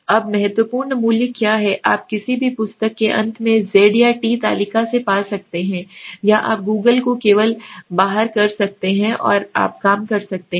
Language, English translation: Hindi, Now critical value is something that you can find from the z or t table at the end of any book or you can just Google out and you can see okay, what is the value